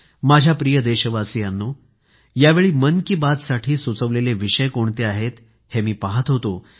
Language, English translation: Marathi, I was looking into the suggestions received for "Mann Ki Baat"